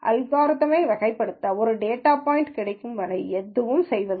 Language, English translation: Tamil, Nothing is done till the algorithm gets a data point to be classified